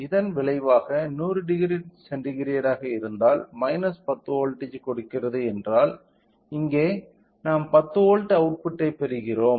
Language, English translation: Tamil, So, as a result even though if for 100 degree centigrade if this is giving minus 10 volt, here we will get output as 10 volt